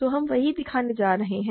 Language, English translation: Hindi, So, that is what we are going to show